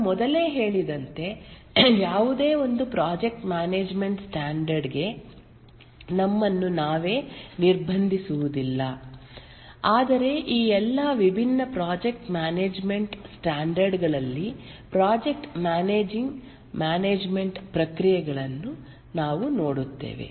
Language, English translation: Kannada, As I told earlier, we will not restrict ourselves to any one project management standard, but we look at these various processes, the project management processes across all these different project management standards